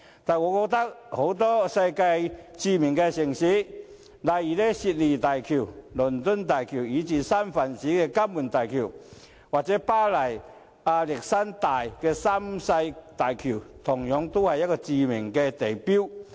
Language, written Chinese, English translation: Cantonese, 但是，我認為世界很多著名城市的大橋，例如悉尼大橋、倫敦大橋，以至三藩市的金門大橋或巴黎亞歷山大三世大橋，都是著名地標。, Yet in many famous cities bridges such as the Sydney Bridge the London Bridge as well as the Golden Gate Bridge in San Francisco or the Pont Alexandre III in Paris are well - known landmarks